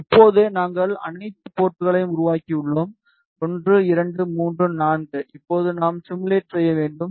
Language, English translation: Tamil, Now, we have created all the ports 1 2 3 4 now we need to simulate